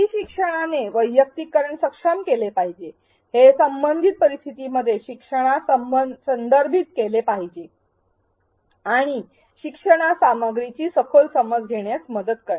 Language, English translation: Marathi, The e learning should enable personalization, it should contextualize the learning to relatable scenarios and help the learner acquire a deeper understanding of the content